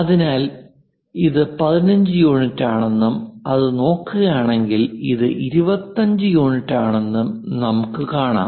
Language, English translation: Malayalam, So, if we are seeing this one is 15 units and if we are looking at that, this one is 25 units this is the way we understand this 15 and 25